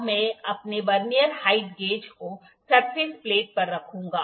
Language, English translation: Hindi, Now, I will put my Vernier height gauge on the surface plate